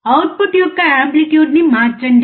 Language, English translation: Telugu, Change the amplitude of the output